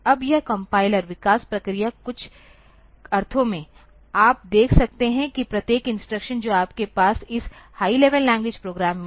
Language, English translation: Hindi, Now this compiler development process in some sense, you can see that every instruction that you have in this high level language program